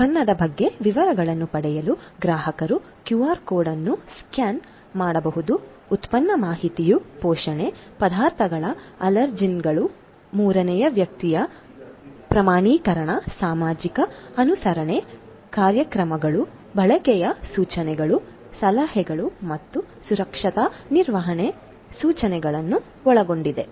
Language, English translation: Kannada, Consumers can scan the QR code to get details about the product; the product information includes nutrition, ingredients, allergens, third party certification, social compliance programs, usage instructions, advisories and also safe handling instruction